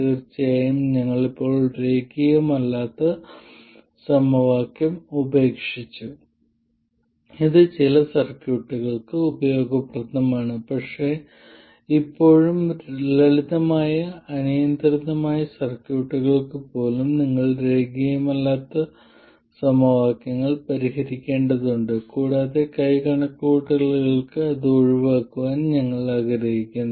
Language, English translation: Malayalam, Of course we are still left with a nonlinear equation and this is useful for certain classes of circuits but still even for simple arbitrary circuits you have to solve nonlinear equations and we would like to avoid that for hand calculations